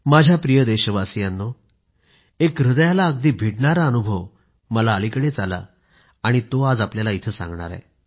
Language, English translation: Marathi, My dear countrymen, today I wish to narrate a heart rending experience with you which I've beenwanting to do past few days